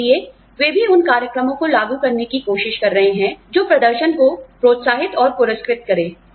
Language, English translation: Hindi, So, they are also trying to implement programs, that encourage and reward performance